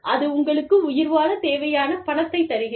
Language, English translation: Tamil, That is giving you the money, you need to survive